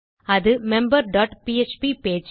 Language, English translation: Tamil, Itll be the member dot php page